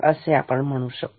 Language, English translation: Marathi, So, what can we say